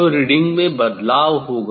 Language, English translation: Hindi, when reading will change